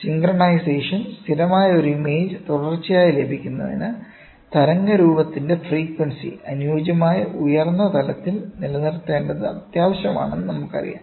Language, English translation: Malayalam, Synchronization, we know that to obtain a stable and a stationary image which is continuous, it is essential to maintain the frequency of the waveform at an optimal high level